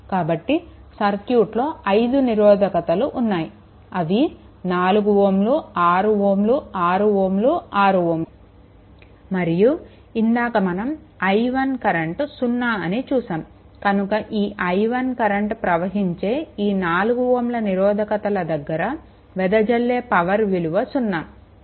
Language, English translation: Telugu, So, this there are 5 resistor 4 ohm 6 ohm 6 ohm 6 ohm and one ah one you told that across that power because this i 1 current is becoming 0 so, i 1 is becoming 0 so, power dissipated here is 0 right